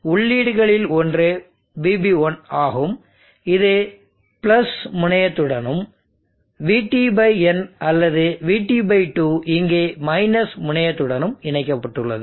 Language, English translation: Tamil, So let us say that one of the inputs is Vp1which is connected to the + terminal, Vt/ n, Vt/ 2 here is connected to the – terminal